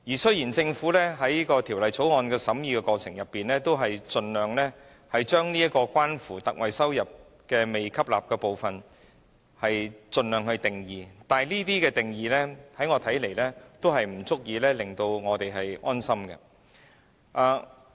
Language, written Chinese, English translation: Cantonese, 雖然政府在《條例草案》的審議過程中，已盡量就關乎獲特惠的營業收入但未被吸納的部分作出定義，但這些定義在我看來並不足以令我們安心。, Although the Government has tried to define as far as practicable the part of receipts not absorbed but related to concessionary trading receipts during deliberation of the Bill I consider its efforts not sufficient to set our mind at ease